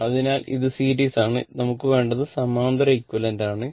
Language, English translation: Malayalam, So, this is series, what we want is parallel equivalent right